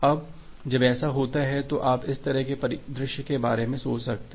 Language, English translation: Hindi, Now, when it happens, you can think of scenario like this